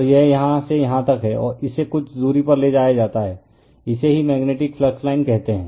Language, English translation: Hindi, And this is any from here to here, it is taken some distance are right, this is your what to call the magnetic flux line